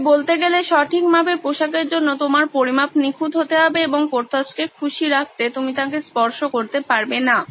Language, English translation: Bengali, So to speak, for good fitting clothes your measurements have to be perfect and to keep Porthos happy, you cannot touch him